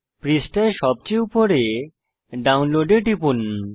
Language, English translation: Bengali, Click on Download at the top of the page